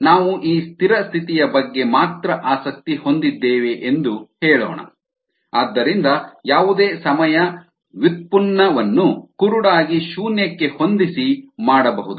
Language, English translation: Kannada, if we are interested only in the steady state condition, any time derivative can be blindly set to zero, right